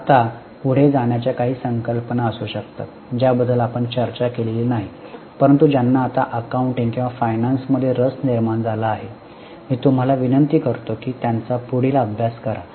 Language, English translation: Marathi, Now, going ahead, there can be a few concepts which we have not discussed, but those who have developed interest now in accounting or in finance, I would request you to study them further